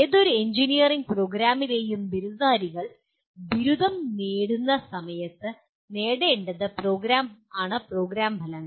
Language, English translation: Malayalam, Program outcomes are what graduates of any engineering program should attain at the time of graduation